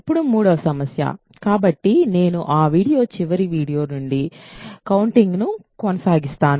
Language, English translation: Telugu, So, now the third problem; so, I will continue the counting from that is video last video